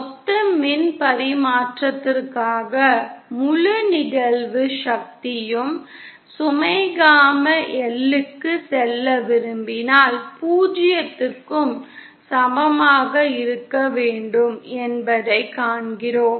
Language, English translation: Tamil, And so, we see that for total power transmission that if we want the entire incident power to go to the load gamma L should be equal to 0